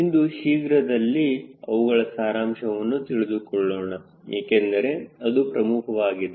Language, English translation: Kannada, today, quickly we will summarize because it is important to understand